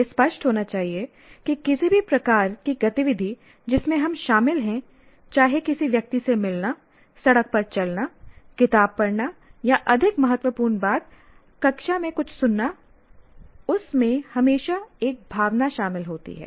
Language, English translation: Hindi, What should be clear is that any type of activity that we are involved, whether meeting a person or even walking on the road or trying to read a book or more importantly, listening to something in the classroom, anything that we are involved, there is always a feeling or sometimes an emotion involved in that